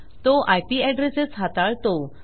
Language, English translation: Marathi, It deals with IP addresses